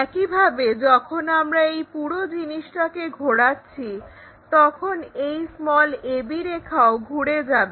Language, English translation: Bengali, Similarly, when we are rotating this entire thing this a b line also gets rotated